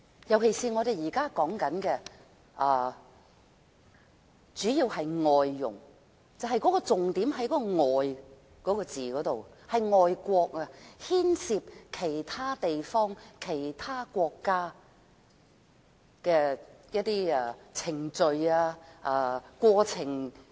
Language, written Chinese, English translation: Cantonese, 特別是我們現在主要討論的是外傭，重點在"外"這個字，是外國，牽涉其他地方或國家的程序和過程。, This is particularly so in the present discussion which mainly involves foreign domestic helpers . The key is the word foreign . It is about other foreign places where procedures and processes of foreign countries are involved